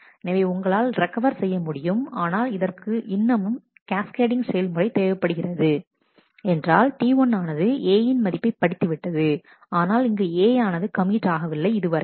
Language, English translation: Tamil, So, you are able to recover, but it still required the cascading because T 1 had read A value in here of A which was not yet committed